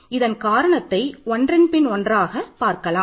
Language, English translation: Tamil, The reason is we will just do one by one